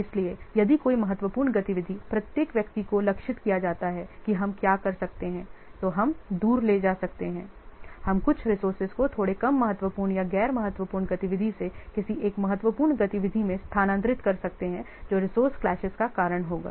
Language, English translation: Hindi, So if a critical activity there is targeted is appearing, what you can do, we can take away, we can migrate some of the resources from a little bit less critical or non critical activity to one of the critical activity that will also this resource classes can be solved